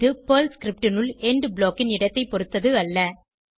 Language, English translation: Tamil, We can have several END blocks inside a Perl script